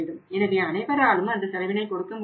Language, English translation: Tamil, So, everybody cannot afford to that cost